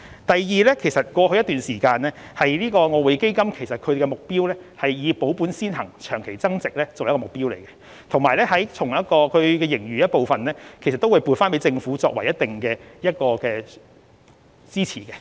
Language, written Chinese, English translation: Cantonese, 第二，在過去一段時間，外匯基金的目標均是以保本先行，長期增值作為目標，並會從盈餘回撥一部分予政府以作一定的支持。, Secondly during long a period in the past the investment objectives adopted for EF have been capital preservation then long - term growth and part of the surplus has been transferred to the Governments account to provide certain support